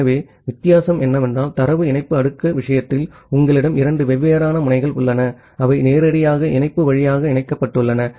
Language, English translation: Tamil, So, the difference is that in case of data link layer, you have two different nodes, which are directly connected via link